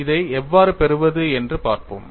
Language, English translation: Tamil, Let us see, how we get this